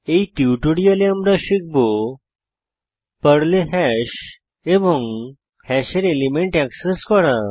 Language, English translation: Bengali, In this tutorial, we learnt Hash in Perl and Accessing elements of a hash using sample programs